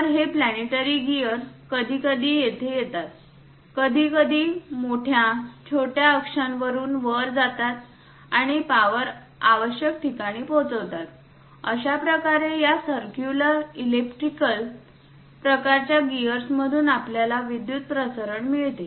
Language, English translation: Marathi, So, this planetary gear sometimes comes here, sometimes goes up through major, minor axis and transmit the power to the required locations; this is the way we get a power transmission from this circular, elliptical kind of gears